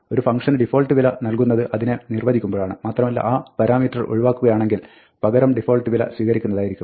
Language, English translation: Malayalam, The default value is provided in the function definition and if that parameter is omitted, then, the default value is used instead